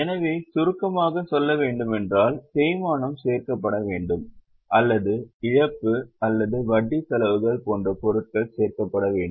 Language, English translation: Tamil, So, in short we can say that the depreciation should be added or items like loss or interest expenses are added while items like interest income or profit on sale of investments are reduced